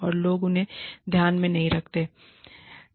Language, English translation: Hindi, And, people do not want to take them, into account